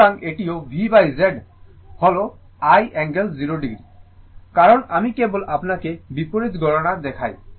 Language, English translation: Bengali, So, this is also V by Z is i angle 0 degree, because I just show you the reverse calculation